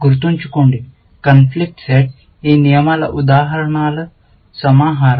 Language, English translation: Telugu, Remember, conflict set is a collection of instances of these rules